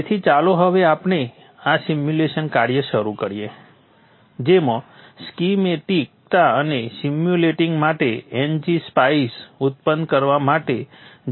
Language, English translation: Gujarati, So let us now begin the simulation work using GEDA for generating the schematics and NGPI for simulating